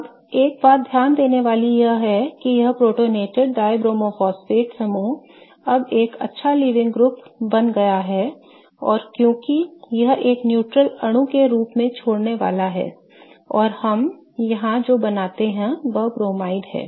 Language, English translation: Hindi, Now, one thing to pay attention to is that this protonated dibromo phosphate group has now become a good living group because it is going to leave as a neutral molecule and what we form here is a bromide right